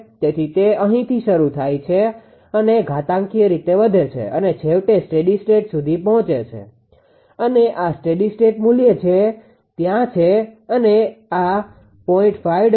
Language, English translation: Gujarati, So, it is starting from here and exponentially increasing finally, reaching to a steady state and this is the steady state value that is there this much this is 0